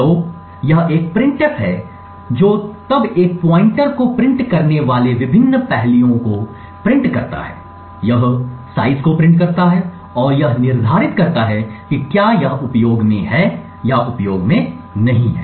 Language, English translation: Hindi, So, this is a printf which then prints the various aspects it prints a pointer, it prints the size and it determines whether there is it is in use or not in use